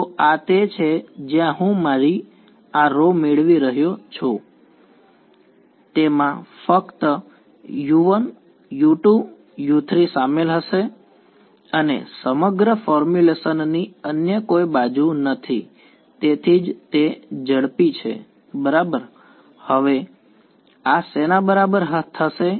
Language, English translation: Gujarati, So, this is where I am getting my this row will only involve U 1,U 2,U 3 and no other edges of the entire formulation that is why it is fast right and now this is going to be equal to what